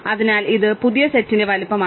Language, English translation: Malayalam, Therefore, this is the size of the new set, right